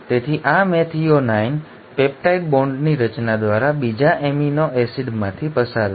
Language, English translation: Gujarati, So this methionine will be passed on to the second amino acid through the formation of peptide bond